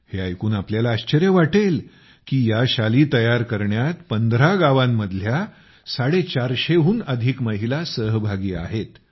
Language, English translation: Marathi, You will be surprised to know that more than 450 women from 15 villages are involved in weaving them